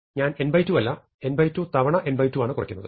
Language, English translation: Malayalam, I will say that I subtract not n by 2 but n by 2 times n by 2